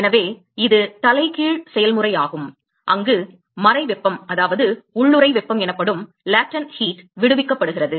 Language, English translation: Tamil, So, it is the reverse process where the latent heat is liberated